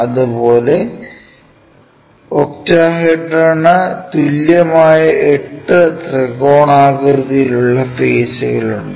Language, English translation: Malayalam, Similarly, the other ones in octahedron we have eight equal equilateral triangular faces